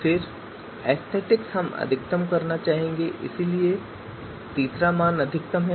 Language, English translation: Hindi, Then aesthetics we would like to maximize third value is a max